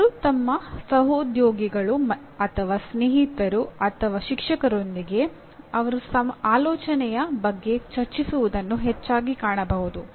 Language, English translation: Kannada, They often can be seen discussing with their colleagues, their friends or with the teacher about their thinking